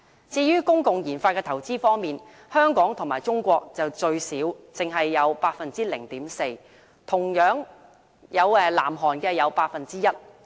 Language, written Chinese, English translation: Cantonese, 至於公共研發的投資方面，香港與中國屬最少，只得 0.4%， 最多同樣是南韓，佔 1%。, Regarding public spending on RD Hong Kong and China contributed most minimally in this regard only 0.4 % while South Korea again topped the list contributed 1 % to its GDP in this regard